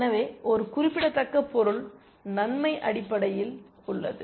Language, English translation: Tamil, So, there is a significant material advantage essentially